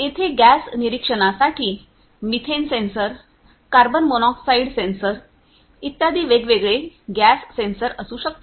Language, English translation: Marathi, There could be if it is for gas monitoring different gas sensors like you know methane sensor, carbon monoxide sensor and so on